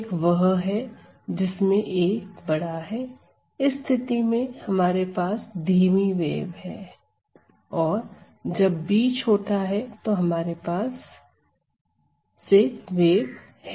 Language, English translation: Hindi, One could be where a is bigger, in that case we have the slow wave and when b being smaller we could have the fast wave